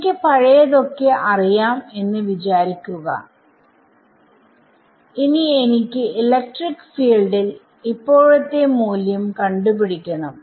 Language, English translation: Malayalam, Supposing I know everything in the past and I want to evaluate the current value of electric field